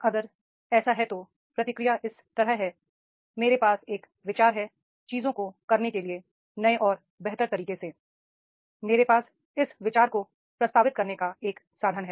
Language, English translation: Hindi, That is the if the response is like this, if I have an idea for a new and better ways of doing things, I have a means of proposing it for consideration